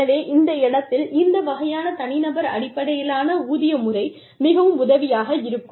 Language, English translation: Tamil, So, that is another place, where this kind of individual based pay system, is very helpful